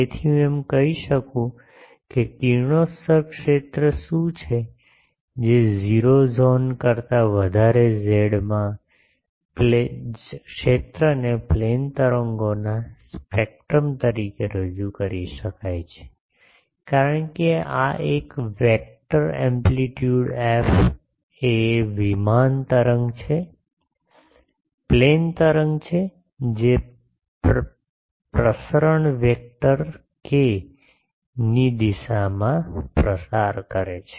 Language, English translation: Gujarati, So, I can say that what is the radiated field that in the z greater than 0 zone, the field can be represented as a spectrum of plane waves, because this one is a plane wave with vector amplitude f propagating in the direction of the propagation vector k ok